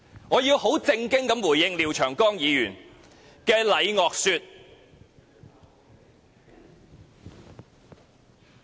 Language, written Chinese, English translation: Cantonese, 我要很正經回應廖長江議員的"禮樂說"。, I would like to seriously respond to Mr Martin LIAOs remark on the rules of proper conduct